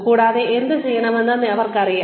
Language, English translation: Malayalam, And, they will be, they will know, what to do